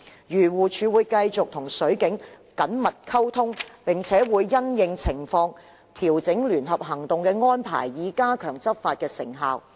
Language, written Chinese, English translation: Cantonese, 漁護署會繼續與水警緊密溝通，並會因應情況調整聯合行動的安排，以加強執法成效。, AFCD will continue to maintain close communication with the Marine Police and adjust the arrangements based on the actual situation to enhance the effectiveness of enforcement actions